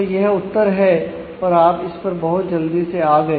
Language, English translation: Hindi, So, that is answer and you can quickly come to that